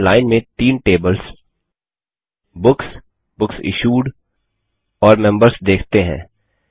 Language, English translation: Hindi, Now we see the three tables Books, Books Issued and Members in a line